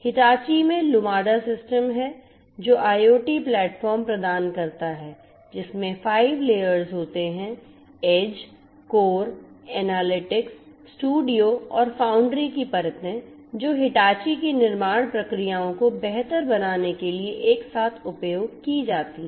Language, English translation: Hindi, Hitachi has the Lumada system which offers a IoT platform comprising of 5 layers, the layers of edge, core, analytics, studio and foundry which are used together in order to improve the manufacturing processes of Hitachi